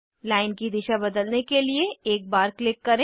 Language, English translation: Hindi, Click once to change direction of line